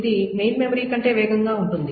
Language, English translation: Telugu, is much faster than main memory